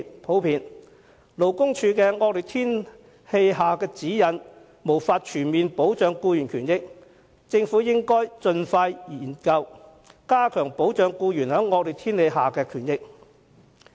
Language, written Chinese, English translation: Cantonese, 由於勞工處的惡劣天氣指引不能全面保障僱員權益，政府應盡快研究，加強保障僱員在惡劣天氣下工作應有的權益。, As the severe weather guidelines issued by LD cannot offer full protection for the rights and interests of employees the Government should expeditiously conduct a study to enhance protection for the due rights and interests of employees in severe weather